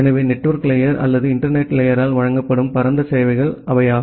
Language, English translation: Tamil, So, that are the broad services which are being provided by the network layer or the internet layer